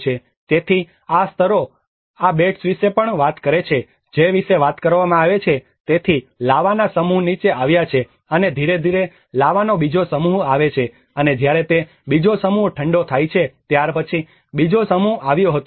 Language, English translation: Gujarati, So, these layers also talks about these beds which are talking about, so a set of lava have come down and gradually another set of lava and the by the time it cools down the another set came, another set came